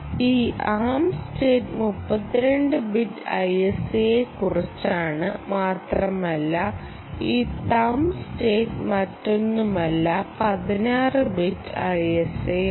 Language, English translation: Malayalam, this arm state essentially is all about the thirty two bit i s a and this thumb state is nothing but the sixteen bit um, sixteen bit i s a